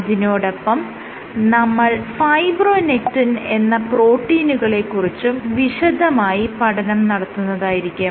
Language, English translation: Malayalam, With that today I will first discuss this protein called fibronectin